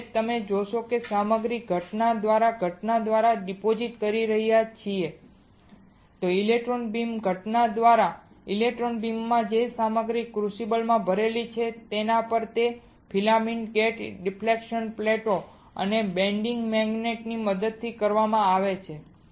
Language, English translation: Gujarati, So now, you are depositing this material by incident by incident thing the electron beam right by incident in the electron beam on the material which is loaded in the crucible and that is done with the help of filament accelerating gate deflection plates and the bending magnet